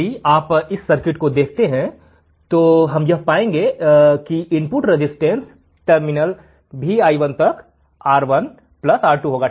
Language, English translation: Hindi, If you see this circuit, what we will find is that the input resistance to terminal Vi1 will be nothing but R1 plus R2 right